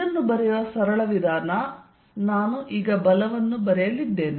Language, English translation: Kannada, This is very simple way of writing it I am going to write force